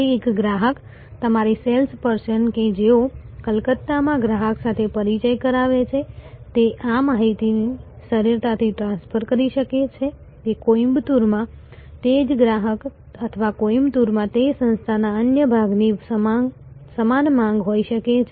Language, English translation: Gujarati, So, a customer, your sales person who is having an introduction with the customer in Calcutta should be able to easily transfer this information, that the same customer in Coimbatore or one another part of that organization in Coimbatore may have a similar demand